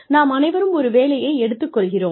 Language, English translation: Tamil, We all take up a job